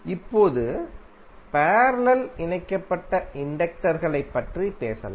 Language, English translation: Tamil, Now, let us talk about the inductors connected in parallel